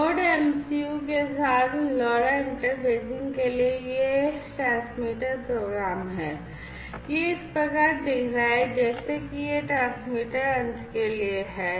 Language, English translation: Hindi, So, for LoRa interfacing with Node MCU, this is this transmitter program, this is how it is going to look, like this is for the transmitter end